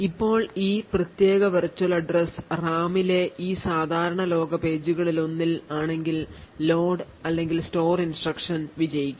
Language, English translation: Malayalam, Now if this particular virtual address falls in one of this normal world pages in the RAM then the load or store will be successful